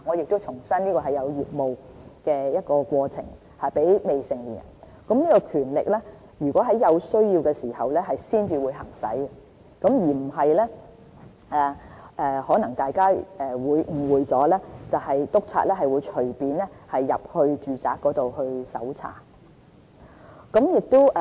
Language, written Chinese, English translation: Cantonese, 我再重申，這是針對在業務過程中的行為，這權力並且會在有需要時才會行使，而非大家可能誤會了督察可以隨意進入住宅搜查。, I repeat the legislation will focus on acts carried out in the course of business . The power will only be exercised when necessary unlike what Members may have misunderstood in which inspectors can arbitrarily enter and search any domestic premises